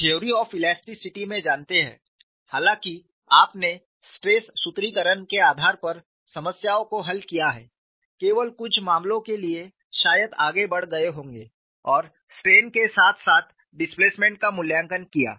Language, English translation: Hindi, You know in your normal theory of elasticity, though you have solved the problems based on stress formulation, only for a very few cases probably you would have gone ahead and evaluated the strain as well as the displacement